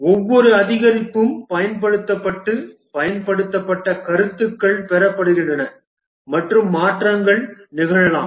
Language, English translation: Tamil, Each increment is developed, deployed, feedback obtained and changes can happen